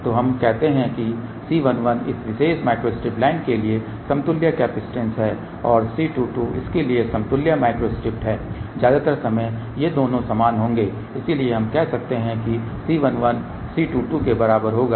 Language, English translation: Hindi, So, let us say C 1 1 is the equivalent capacitance for this particular micro strip line and C 2 2 is the equivalent micro strip for this most of the time these two will identical, so we can say C 1 1 will be equal to C 2 2